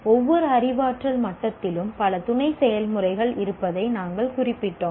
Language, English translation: Tamil, We noted each cognitive level has several sub processes